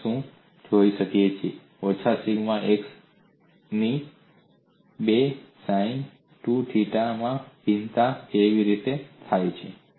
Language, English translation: Gujarati, We will look at how the variation of minus sigma xx by 2 into sin 2 theta appears may be